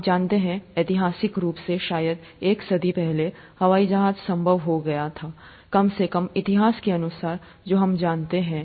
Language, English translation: Hindi, You know, historically speaking, probably a century ago, airplanes became possible, atleast according to the history that we know